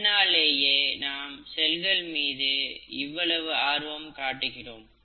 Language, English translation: Tamil, That's why we are so interested in the cell